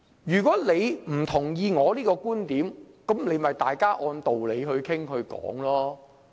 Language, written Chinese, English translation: Cantonese, 如果議員不同意對方的觀點，大家可以按道理討論。, Members can debate rationally if they cannot concur with each other